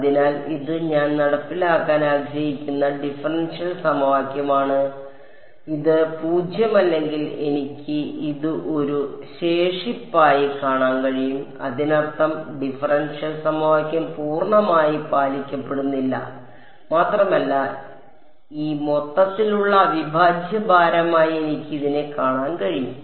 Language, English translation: Malayalam, So, this is the differential equation I want to enforce, so this is I can give view this as a residual if this is non zero; that means, the differential equation is not being fully obeyed correct, and I can view this as a weight for this overall integral